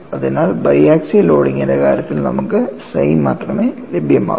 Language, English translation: Malayalam, So, in the case of bi axial loading, you have only psi is available